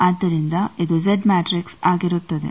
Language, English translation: Kannada, So, this will be the Z matrix